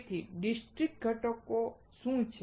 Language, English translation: Gujarati, So, what are discrete components